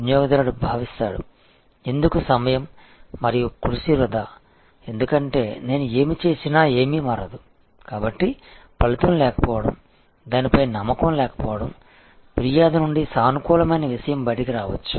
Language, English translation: Telugu, Customer feels that, why waste time and effort, because whatever I do nothing will change, so lack of outcome, lack of confidence in that, there can be something positive coming out of the complain